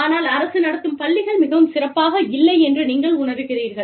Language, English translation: Tamil, But, if you go there, state run school are not very good